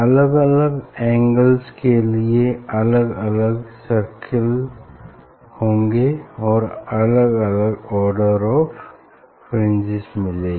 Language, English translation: Hindi, for different angle we will get different circle, different order of the fringe